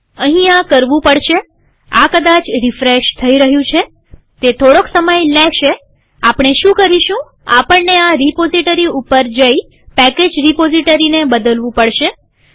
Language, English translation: Gujarati, Here we have to I think this is refreshing, it takes a little while what we will do is, we have to go to this repository, change package repository